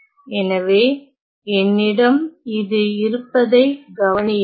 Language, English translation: Tamil, So, notice that I have this